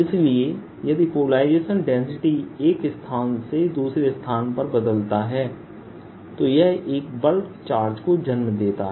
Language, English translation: Hindi, so if polarization density changes from one place to the other, it also gives rise to a bulk charge